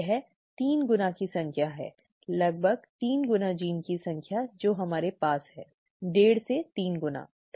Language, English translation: Hindi, This has 3 times the number of, approximately 3 times the number of genes that we do, okay, 2 and a half to 3 times, okay